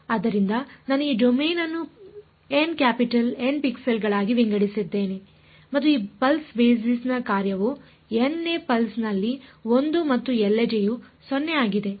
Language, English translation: Kannada, So, whatever I said I have divided this domain into N capital N pixels and this pulse basis function is 1 in the n th pulse and 0 everywhere else right